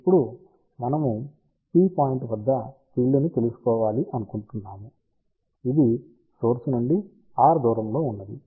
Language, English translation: Telugu, Now, we want to find out the field at a point P, which is at a distance of r from the origin